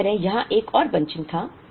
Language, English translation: Hindi, Similarly, there was another bunching here